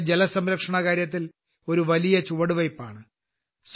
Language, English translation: Malayalam, This is a giant step towards water conservation